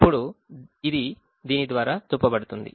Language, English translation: Telugu, that is shown through this